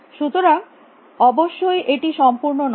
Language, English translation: Bengali, So; obviously, it is not complete